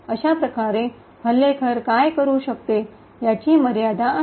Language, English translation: Marathi, Thus, there is a limitation to what the attacker can do